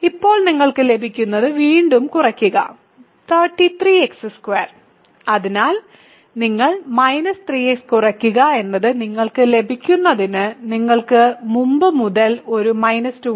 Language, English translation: Malayalam, So, now you subtract again what you get it is 33 x squared, so you subtract minus 3 x is what you get and you have a minus 2 from before